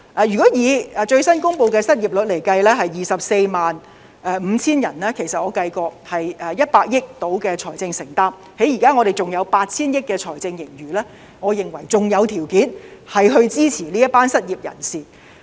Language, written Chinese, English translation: Cantonese, 如果以最新公布的失業率下的 245,000 人來計算——我已作計算——大概是100億元的財政承擔，在我們現時還有 8,000 億元的財政盈餘，我認為仍有條件支持這一群失業人士。, Based on the 245 000 unemployed people according to the latest unemployment rate I have done the calculation and the financial commitment will be around 10 billion . Since we still have financial reserves of 800 billion I consider we still have the means to support these unemployed people